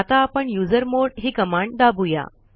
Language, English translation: Marathi, Let us learn about the usermod command